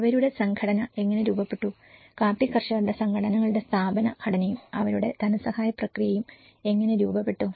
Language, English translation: Malayalam, And how their organization structured, the institutional structures of the coffee growers organizations and how their funding process